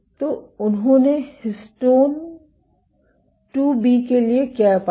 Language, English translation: Hindi, So, what they found for histone 2B